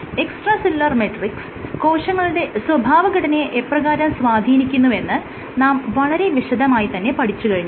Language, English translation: Malayalam, I have briefly given your gist of how extracellular proteins, extracellular metrics can regulate cell behavior